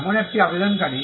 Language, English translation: Bengali, Now, this is the applicant